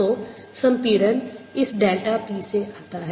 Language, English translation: Hindi, so the compression comes from this delta p